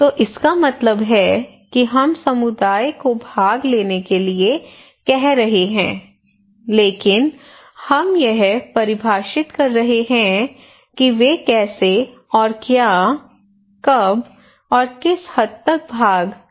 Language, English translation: Hindi, So it means that we are asking community to participate, but we are defining that how and what, when and what extent they can participate